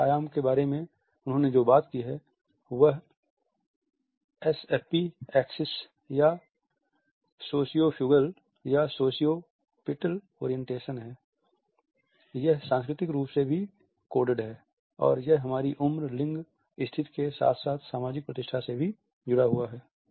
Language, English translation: Hindi, The second dimension he has talked about is the SFP axis or the sociofugal or sociopetal orientation, it is also culturally coded and it is also linked with our age, gender, status as well as the social situation